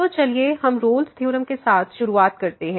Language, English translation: Hindi, So, starting with the Rolle’s Theorem